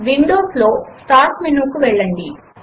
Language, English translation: Telugu, In Windows go to the Start menu